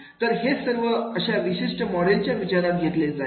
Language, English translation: Marathi, So, these all will be considered into this particular module